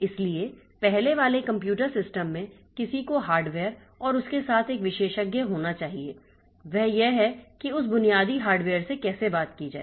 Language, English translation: Hindi, So, if we earlier computer systems, so somebody has to be an expert with the hardware and interfacing the interfacing of it, that is how to talk to that basic hardware